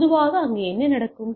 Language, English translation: Tamil, So, usually what happen